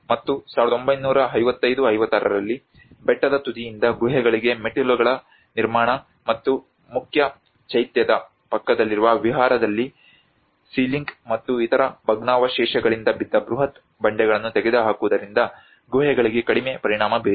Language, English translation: Kannada, \ \ And in 1955 56, so has been very little known group of caves were affected by the construction of steps to the caves from hilltop and removal of huge boulders fallen from the ceiling and other debris in the Vihara adjoining the main Chaitya